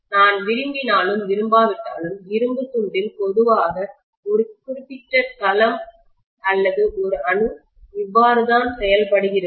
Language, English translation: Tamil, Whether I like it or not, this is how in a piece of iron, generally a particular domain or an atom behaves